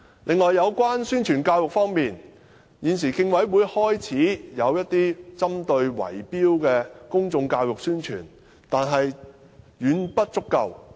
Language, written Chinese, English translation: Cantonese, 此外，有關宣傳教育方面，現時競委會已開始進行一些針對圍標行為的公眾教育宣傳，但卻遠遠不足夠。, Another point is about publicity and education . CCHK has indeed started to make some public education and publicity efforts on tender rigging . But such efforts are far from adequate